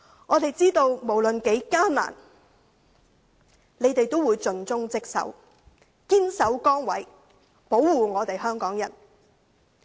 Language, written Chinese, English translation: Cantonese, 我們知道無論多麼艱難，他們仍會盡忠職守，堅守崗位，保護香港人。, We know that whatever hardship there is they will remain steadfast in their posts and protect the people of Hong Kong with dedicated efforts and true to their duties